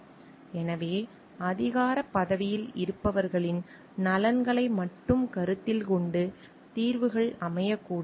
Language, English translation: Tamil, So, and the solutions should not be geared towards the interests of only those who are in positions of authority